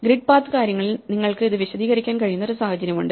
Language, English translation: Malayalam, In the grid path thing there is one situation where you can illustrate this